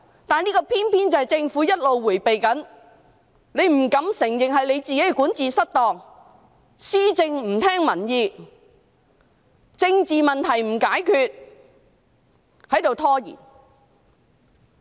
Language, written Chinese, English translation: Cantonese, 然而，這偏偏是政府一直迴避的，不敢承認自己管治失當，施政不聽民意，不去解決政治問題，只懂拖延。, Yet the Government has all along evaded the problem and it dares not admit its problematic governance its reluctance to listen to public opinions in administration and its failure to resolve political problems . But it only knows to resort to procrastination